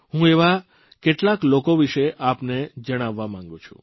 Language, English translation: Gujarati, I would like to tell you about some of these people